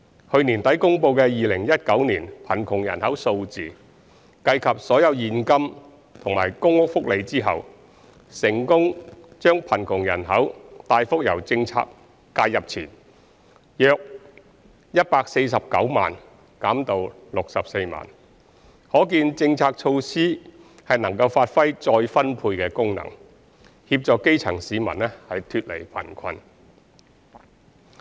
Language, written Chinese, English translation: Cantonese, 去年年底公布的2019年貧窮人口數字，計及所有現金和公屋福利後，成功把貧窮人口大幅由政策介入前約149萬減至64萬，可見政策措施能發揮再分配功能，協助基層市民脫離貧困。, According to statistics released at the end of last year after taking into account all the cash and PRH benefits the size of the poor population in 2019 decreased significantly from the pre - intervention of 1.49 million to 0.64 million . This shows that policies and measures can effectively achieve the function of income redistribution and lift the grass roots out of poverty